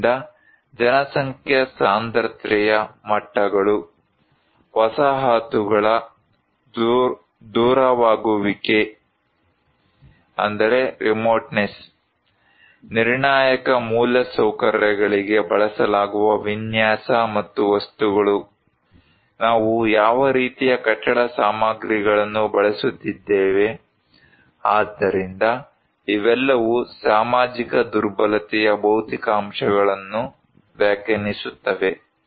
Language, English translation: Kannada, And so, population density levels, remoteness of the settlements, design and material used for critical infrastructures, what kind of building materials we are using so, these all define the physical factors of social vulnerability